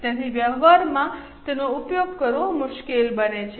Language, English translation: Gujarati, So, it becomes difficult to use it in practice